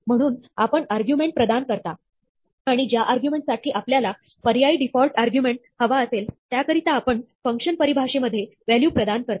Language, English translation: Marathi, So, you provide the arguments, and for the argument for which you want an optional default argument, you provide the value in the function definition